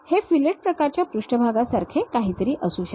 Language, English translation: Marathi, This might be something like a fillet kind of surfaces